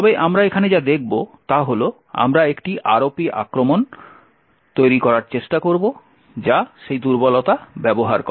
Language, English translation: Bengali, But what we will see over here is, we will try to build an ROP attack which uses that vulnerability